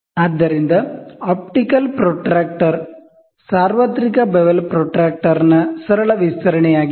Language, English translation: Kannada, So, optical protractor is a simple extension of the universal bevel protractor